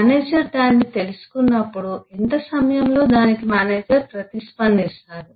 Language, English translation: Telugu, and when the manager gets to know it, what is the timeline through which within which the manager will respond